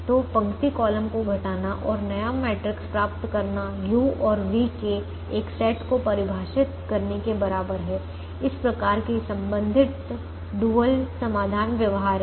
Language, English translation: Hindi, so doing the row column subtraction and getting a new matrix is equivalent of defining a set of u and v such that the corresponding dual solution is feasible